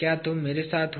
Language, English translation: Hindi, Are you with me